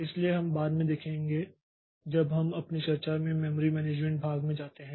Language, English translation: Hindi, So, that we'll see later when you go to the memory management portion of our discussion